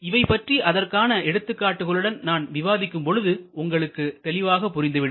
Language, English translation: Tamil, So, as I discuss a little bit more and show you some example, this will become clear